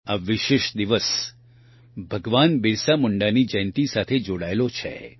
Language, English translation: Gujarati, This special day is associated with the birth anniversary of Bhagwan Birsa Munda